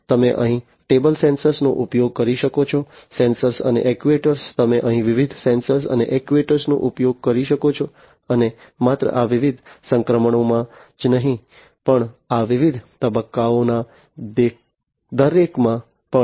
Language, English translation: Gujarati, You could use table sensors over here sensors and actuators, you could use different sensors and actuators here and not only in these different transitions, but also in each of these different phases